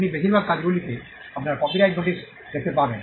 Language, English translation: Bengali, You would see your copyright notice on most works